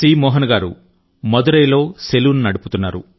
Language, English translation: Telugu, Shri Mohan ji runs a salon in Madurai